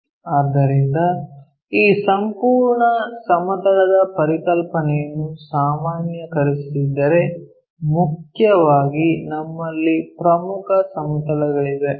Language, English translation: Kannada, So, if we are generalizing this entire planes concept, mainly, we have principal planes